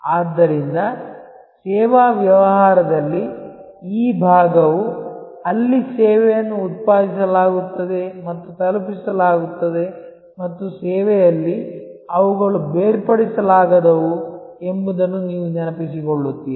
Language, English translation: Kannada, So, in a service business this part, where the service is generated and delivered and you recall that in service, often they are inseparable